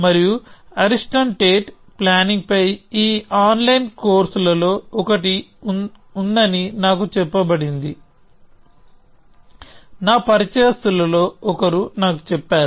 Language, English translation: Telugu, And I was told that Ariston Tate has one of these online courses on planning which one of my acquaintances was telling me about